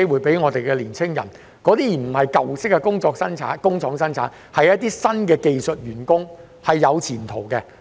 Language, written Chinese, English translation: Cantonese, 這些並非舊式工廠的生產員工，而是一些新的技術員工，是有前途的。, These employees are no longer production workers in old factories but new skilled workers and they have a promising prospect